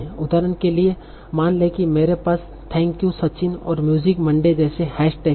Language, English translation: Hindi, So for example, suppose I have hashtags like Thank You, Searching and Music Monday